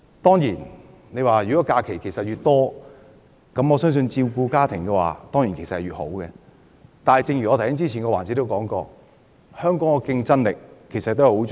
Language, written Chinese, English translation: Cantonese, 當然，侍產假越長，對於照顧家庭便越好，但正如我在上一環節說過，香港的競爭力也十分重要。, Of course the longer paternity leave the better support for families . However just as I said in the previous session the competitiveness of Hong Kong is also very important